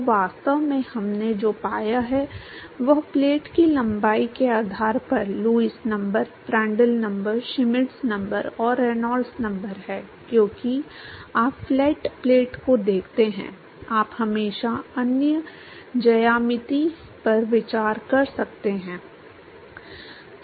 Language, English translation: Hindi, So, really what we have found is that Lewis number, Prandtl number, Schmidt number and Reynolds number based on the length of the plate because you look at flat plate; you could always consider other geometries